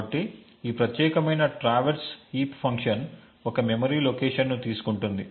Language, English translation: Telugu, So, this particular traverse heat function takes a memory location